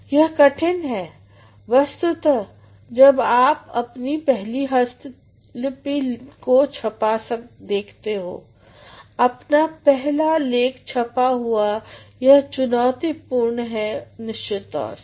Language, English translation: Hindi, It is difficult, of course, when you see your first manuscript in print when you see your first writing in print, of course, it is challenging